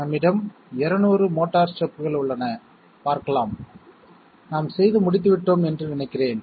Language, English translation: Tamil, We have 200 steps of the motor; let us see I think we have worked out yeah answer